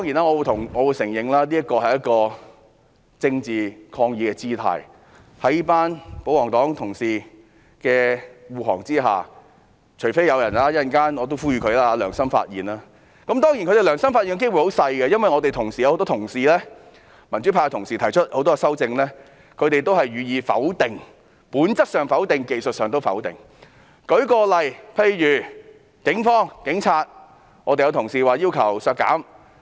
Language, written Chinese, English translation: Cantonese, 我承認這是一種政治抗議的姿態，因為保皇黨同事會護航，除非有人良心發現——我稍後也想作出呼籲——當然，他們良心發現的機率很低，因為很多民主派同事均提出了修正案，但保皇黨同事都是予以否定的，而且是不但從本質上否定，在技術上也否定。, I admit that this is a gesture of political protest because Honourable colleagues of the pro - Government camp will defend them unless someone is pricked by conscience―I wish to make an appeal later as well―Of course the chance for them to be pricked by conscience is rather slim as colleagues of the pro - Government camp disapprove of all the amendments proposed by colleagues of the pro - democracy camp . They not only disapprove of the amendments due to their nature but also on technical grounds